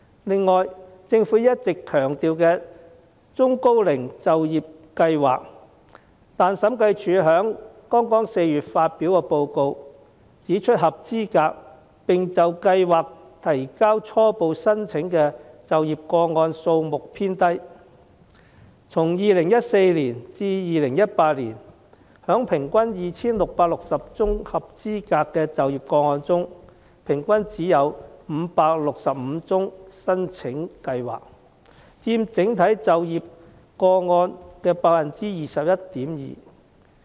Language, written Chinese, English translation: Cantonese, 此外，政府一直強調有中高齡就業計劃，但審計署在剛於4月發表的報告指出，合資格並就計劃提交初步申請的就業個案數目偏低，於2014年至2018年間，在 2,660 宗合資格的就業個案中，平均只有565宗申請計劃，佔整體就業個案的 21.2%。, Regarding the Employment Programme for the Elderly and Middle - aged EPEM which the Government often stresses the Audit Commission pointed out in the report released in April that the number of eligible placements with preliminary applications for EPEM was on the low side . In the period between 2014 and 2018 among the 2 660 eligible placements there was only 565 applications for EPEM on average which accounts for 21.2 % of the overall placements